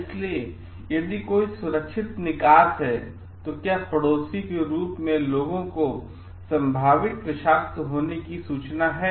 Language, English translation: Hindi, So, if there is an safe exit, so, whether people are neighbors are informed of possible toxic emotions